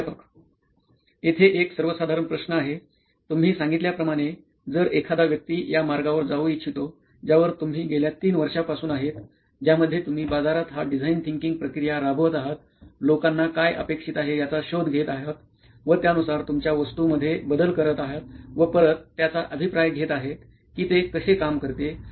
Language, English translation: Marathi, Here is a generic question, if somebody were to start out on a path like what you have said so you are here on this path for 3 years now where you have been doing this sort of design thinking ish process of going to the market, finding out what they want, then fixing your product for that, then going back again and seeing how they react